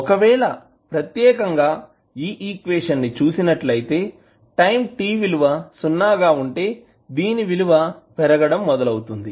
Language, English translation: Telugu, So, what will happen if you see this particular equation at time t is equal to 0 the value will start increasing